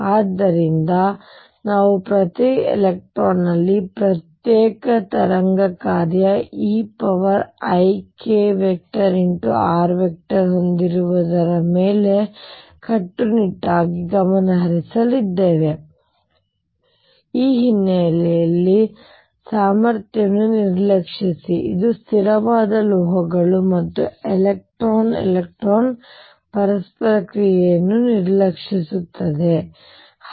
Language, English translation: Kannada, So, we are going to focus strictly on each electron having an individual wave function e raise to i k dot r, neglecting the background potential which is nearly a constant metals and neglecting the electron electron interaction